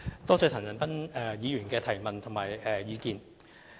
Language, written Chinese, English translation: Cantonese, 多謝陳恒鑌議員的問題和意見。, I thank Mr CHAN Han - pan for his question and opinions